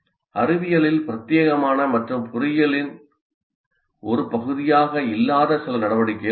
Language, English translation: Tamil, There are some activities which are exclusively in science and they are not as a part of engineering